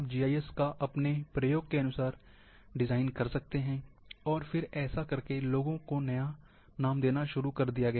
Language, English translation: Hindi, You might be having a custom designed GIS, and then people have started giving new name